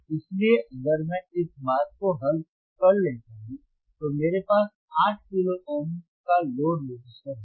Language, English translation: Hindi, So, if I iff I solve this thing, well I have I will have a load registersistor of 8 kilo Ohms